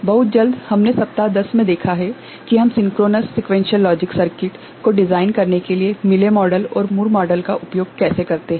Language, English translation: Hindi, Very quickly, what we saw in week 10 is how we use Mealy model and Moore model to design synchronous sequential logic circuit